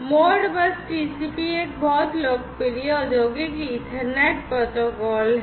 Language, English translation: Hindi, Modbus TCP is a very popular industrial Ethernet protocol